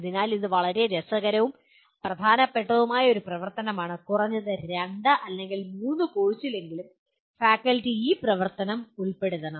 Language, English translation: Malayalam, So this is a very interesting and important activity and at least in 2 or 3 courses the faculty should incorporate this activity